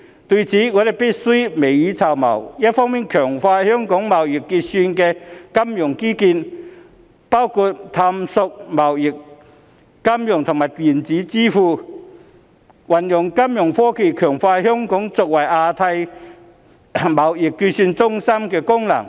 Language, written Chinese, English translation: Cantonese, 對此，我們必須未雨綢繆，一方面強化香港貿易結算的金融基建，包括探索貿易、金融和電子支付，運用金融科技強化香港作為亞太貿易結算中心的功能。, In this regard we must take precautions by on the one hand strengthening Hong Kongs financial infrastructure for trade settlement including exploring trade finance and electronic payments as well as enhancing Hong Kongs function as a trade settlement centre in the Asia - Pacific region through application of financial technology